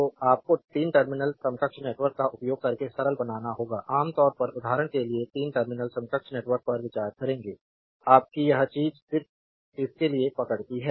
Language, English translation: Hindi, So, you have to simplify by using a 3 terminal equivalent network right generally we will consider 3 terminals equivalent network for example, your this thing just hold on for this one